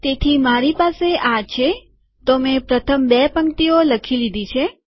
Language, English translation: Gujarati, So I have written the first two rows